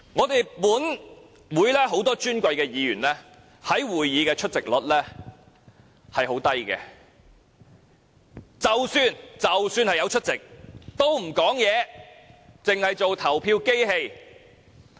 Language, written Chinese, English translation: Cantonese, 本會很多尊貴議員的會議出席率十分低，即使有出席，也不發言，只當投票機器。, Many Honourable Members of this Council have very low attendance rates at Council meetings . Even if they are present they will not rise to speak . They only act as voting machines